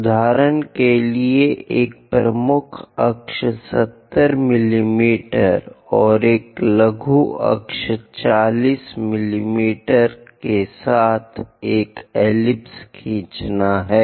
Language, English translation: Hindi, For example, draw an ellipse with major axis 70 mm and minor axis 40 mm